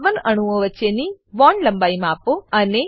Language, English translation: Gujarati, * Measure bond lengths between the carbon atoms